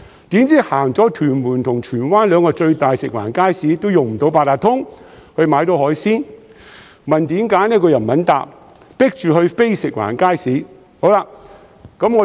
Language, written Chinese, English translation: Cantonese, 誰料逛完屯門和荃灣兩個最大的食環署街市也用不到八達通卡買海鮮，問原因又不肯回答，被迫前往非食環署街市。, Who would expect that after visiting the two largest FEHD markets in Tuen Mun and Tsuen Wan I could not use my Octopus card to buy seafood and failed to get a reason for it despite having asked . I was forced to go to a non - FEHD market